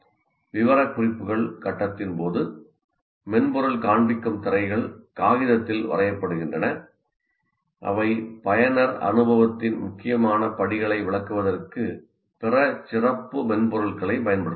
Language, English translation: Tamil, During the specifications, screens that the software will display are drawn, either on paper or using other specialized software to illustrate the important steps of the user experience